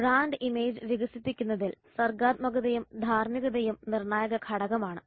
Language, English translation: Malayalam, Creativity and ethics are crucial elements in developing brand image